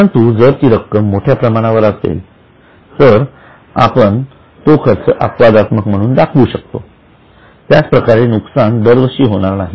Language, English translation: Marathi, But if it is a sizable amount, we will show it as exceptional item because it is not going to happen every year